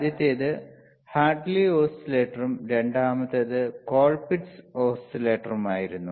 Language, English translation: Malayalam, tThe first one wasis a Hartley oscillator and the second one was colpitts oscillator